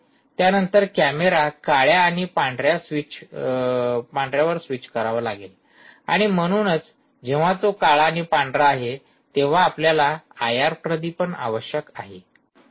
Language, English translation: Marathi, then the camera has to switch to black and white and therefore, when it is switches to black and white, you need the i r illumination